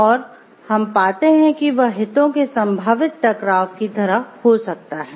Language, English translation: Hindi, So, this is called a potential conflict of interest